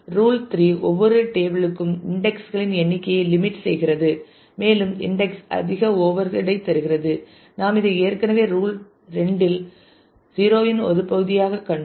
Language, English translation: Tamil, Then the rule 3 limit the number of indexes for each table the more the index more overhead we have already seen this as a part of rule 2 rule 0 as well